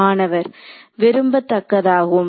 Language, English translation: Tamil, So, it is going to be desirable